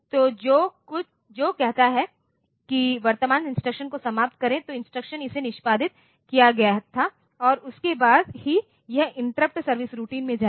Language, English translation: Hindi, So, which says that finish current instruction, the instruction that it was executed and then only it will be going into the interrupt service routine